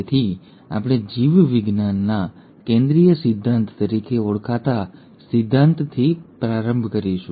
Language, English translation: Gujarati, So we will start with what is called as the Central dogma of biology